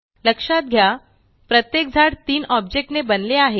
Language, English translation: Marathi, Now remember, each tree is made up of three objects